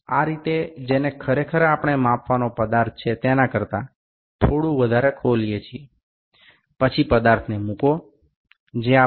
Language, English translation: Gujarati, This is the way actually we open it a little more than the feature to be measured, then place the feature that is surrender to the fixed jaw